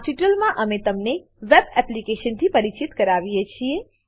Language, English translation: Gujarati, In this tutorial we introduce you to a web application